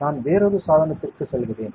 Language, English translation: Tamil, I will go to another device